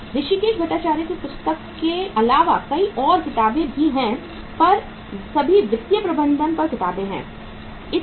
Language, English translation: Hindi, Apart from the Hrishikes Bhattacharya’s book there are many books say all the books on financial management